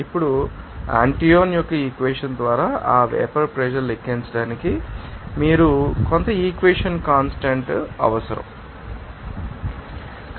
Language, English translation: Telugu, Now, to calculate that vapor pressure by Antoine’s equation you need to some equation constant